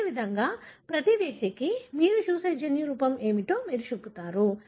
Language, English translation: Telugu, Likewise, you show for every individual what is the genotype that you see